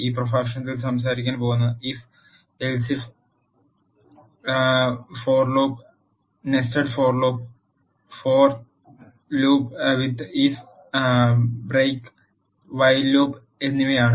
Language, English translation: Malayalam, In this lecture we are going to talk about if else if family constructs, for loop nested for loops, for loop with if break and while loop